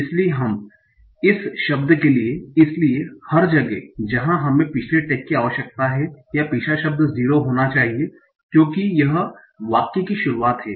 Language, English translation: Hindi, So for this word, so every every way we need the previous tag or the previous word should be 0 because this is the start of the sentence